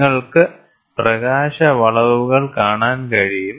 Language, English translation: Malayalam, So, you can see the light bends